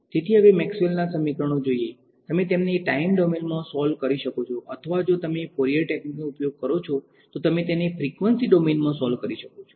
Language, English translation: Gujarati, So, now, there are looking at the equations of Maxwell, you could solve them in let us say either the time domain or if you use Fourier ideas, you could solve them in the frequency domain ok